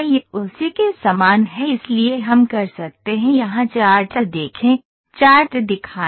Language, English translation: Hindi, this is similar to that so we can see the charts here, show chart